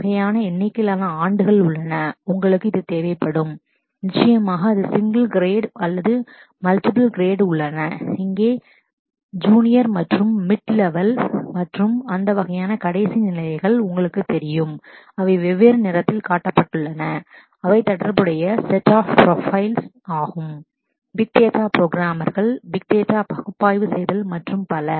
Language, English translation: Tamil, There is a kind of number of years, you would need and of course it is not a single grid there are multiple grades, you know junior and mid levels in here and those kind and last which have shown in different color are the whole set of profiles which relate to programming the big data, analyzing the big data and so on